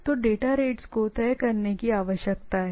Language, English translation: Hindi, So, the data rate need to be fixed